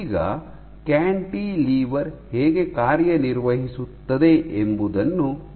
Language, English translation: Kannada, Now, let us see how does the cantilever operate